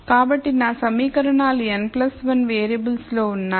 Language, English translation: Telugu, So, my equations are in n plus 1 variables